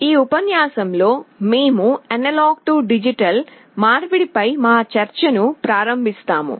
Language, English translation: Telugu, In this lecture, we shall be starting our discussion on Analog to Digital Conversion